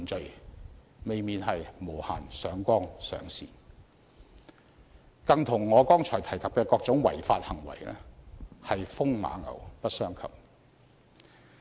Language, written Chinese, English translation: Cantonese, 這未免是無限上綱上線，與我剛才提及的各種違法行為更是風馬牛不相及。, They have escalated the above acts without restraints which are totally irrelevant when compared with the various serious offences that I mentioned just now